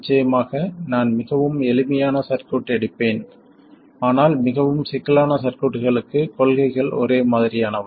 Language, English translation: Tamil, Of course, I will take a very simple circuit, but the principles are the same for more complicated circuits